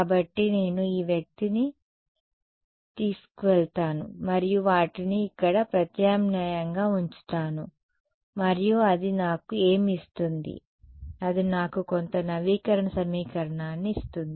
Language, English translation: Telugu, So, I take this guy take this guy and substitute them here right and what will that give me, it will give me some update equation right